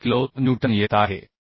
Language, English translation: Marathi, 72 kilo Newton